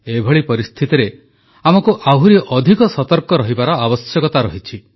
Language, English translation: Odia, In such a scenario, we need to be even more alert and careful